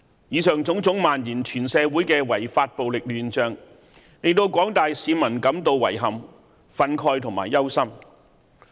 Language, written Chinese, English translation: Cantonese, 以上種種漫延全社會的違法暴力亂象，令廣大市民感到遺憾、憤慨及憂心。, All of these kinds of unlawful violence spreading across the community have caused regret anger and worry among the public